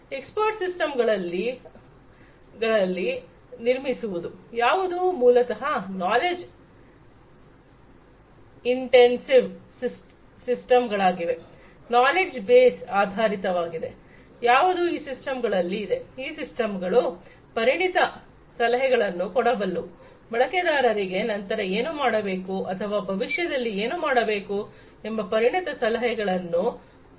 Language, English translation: Kannada, Building expert systems, which are basically in knowledge intensive systems, based on the knowledge base, that is resident in these systems, these systems can provide expert advice; expert advice to users about what should be done next or what should be done in the future